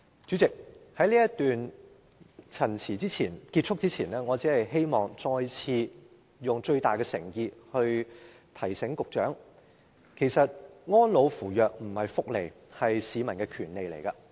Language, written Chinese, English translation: Cantonese, 主席，在這次發言結束前，我希望再次以最大的誠意提醒局長，其實安老扶弱並非福利，而是市民的權利。, Before closing my speech in this session President I wish to remind the Secretary once again with my greatest sincerity that care for the elderly and the disadvantaged is not a welfare benefit